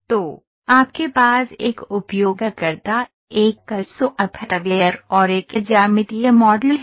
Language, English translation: Hindi, So, you can see here, a user, a CAD software, you have a geometric model